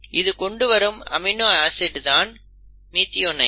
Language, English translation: Tamil, The first amino acid is methionine